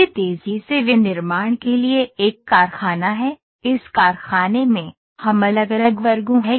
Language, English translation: Hindi, This is a factory for rapid manufacturing; in this we have different sections